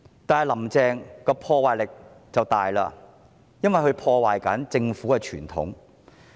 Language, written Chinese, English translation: Cantonese, 但是，"林鄭"的破壞力很大，因為她正破壞政府的傳統。, However the destructive power of Carrie LAM is very extensive because she is destroying the government traditions